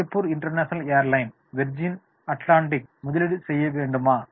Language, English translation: Tamil, Should Singapore International Airlines invest in Virgin Atlantic